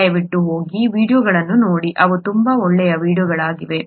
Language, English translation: Kannada, Please go and take a look at these videos, they are very nice videos